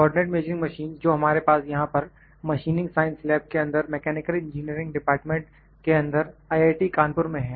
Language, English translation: Hindi, The co ordinate measuring machine that we have here in IIT Kanpur in machining science lab in mechanical engineering department is one that we will work on